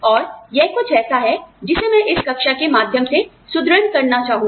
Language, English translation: Hindi, And, this is something, that I would like to reinforce, through this class